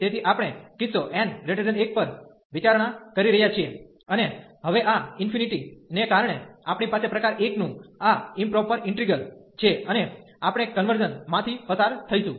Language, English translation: Gujarati, So, we are considering the case n greater than 1 and because of this infinity now, we have this improper integral of type 1, and we will go through the convergence